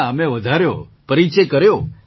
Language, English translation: Gujarati, No, we extended our introduction